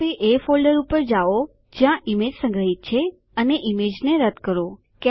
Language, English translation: Gujarati, Now, go the folder where the image is stored and delete the image